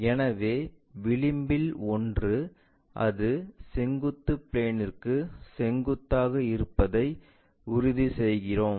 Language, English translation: Tamil, So, the edge, one of the edge, we make sure that it will be perpendicular to vertical plane